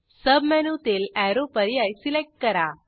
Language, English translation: Marathi, In the submenu, select Arrow